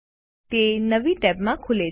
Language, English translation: Gujarati, It opens in a new tab